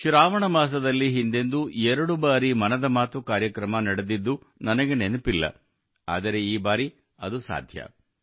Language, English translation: Kannada, I don't recall if it has ever happened that in the month of Sawan, 'Mann Ki Baat' program was held twice, but, this time, the same is happening